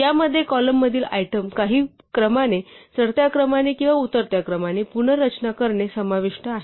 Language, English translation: Marathi, So, this involves rearranging the items in the column in some order either in ascending order or descending order